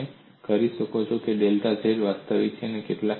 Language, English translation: Gujarati, So you could have, delta z is real